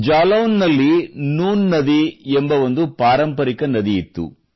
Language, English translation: Kannada, There was a traditional river in Jalaun Noon River